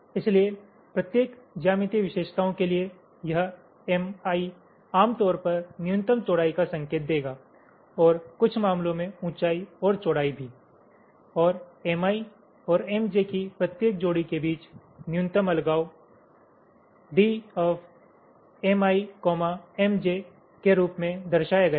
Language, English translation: Hindi, so for the each of the geometric features, this smi will indicate typically the minimum width and in some cases also height and width and the minimum separation between every pair of m i and m j